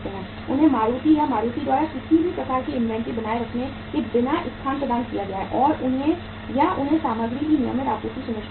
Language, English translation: Hindi, They have been provided the space by Maruti and Maruti without maintaining any kind of inventory they are getting or they have ensured the regular supply of the material